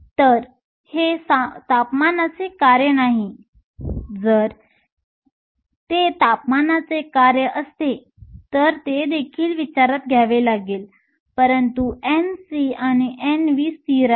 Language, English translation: Marathi, So, it is not a function of temperature; if it were a function of temperature that will also have to be taken into account, but N c and N v are constant